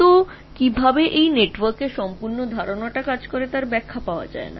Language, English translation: Bengali, But how this whole idea of network, whole idea of how do this, still it doesn't explain